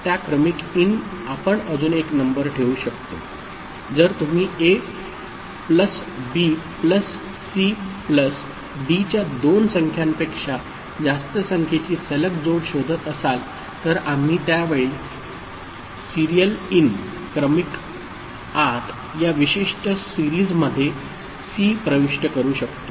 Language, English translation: Marathi, The serial in that is there we can put another number so, if you are looking for consecutive addition of A plus B plus C plus D more than two numbers so, we can make C enter at that time through this particular serial in ok